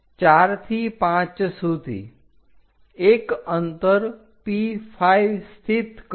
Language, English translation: Gujarati, From 4 to 5, locate a distance P5